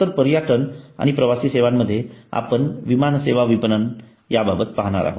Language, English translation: Marathi, so we now come to tourism and travel services so in tourism and travel services we are going to look at the airline service marketing